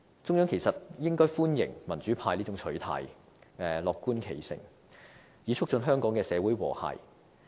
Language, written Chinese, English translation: Cantonese, 中央其實應該歡迎民主派這種取態，樂觀其成，以促進香港社會的和諧。, In fact the Central Authorities should welcome the approach of the democrats which will help promote harmony in the society of Hong Kong